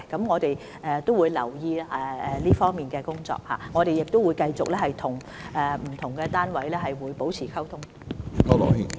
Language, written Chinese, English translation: Cantonese, 我們會繼續留意這方面的工作，並與不同單位保持溝通。, We will continue to monitor the work in this respect and maintain communication with the various authorities concerned